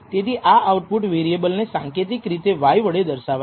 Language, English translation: Gujarati, So, the symbolic way of denoting this output variable is by the symbol y